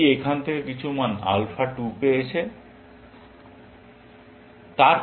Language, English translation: Bengali, This has got some value alpha 2 from here